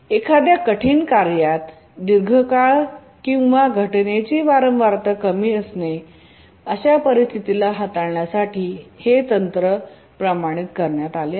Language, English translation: Marathi, So this is a standard technique to handle situations where a critical task has a long period or its frequency of occurrences lower